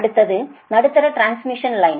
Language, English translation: Tamil, next is: next is the medium transmission line